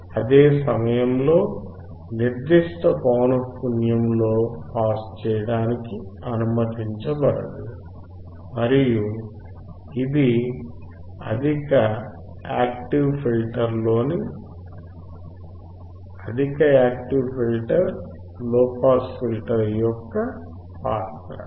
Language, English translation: Telugu, At the same time at certain frequency to be not allowed to pass and this is the role of the high active filter low pass active filter